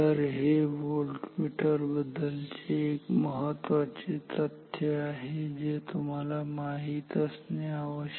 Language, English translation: Marathi, So, this is one important fact about the volt meters that you should know